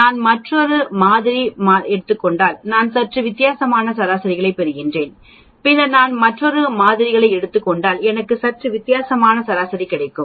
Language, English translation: Tamil, If I take another set of samples, I will get slightly different mean then if I take another set of samples, I will get slightly different mean